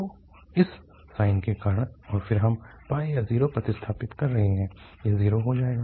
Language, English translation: Hindi, So, because of this sine and then we are substituting pi or 0